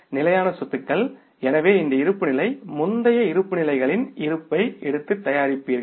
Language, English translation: Tamil, So, this balance sheet you will prepare by taking the balances from the previous balance sheet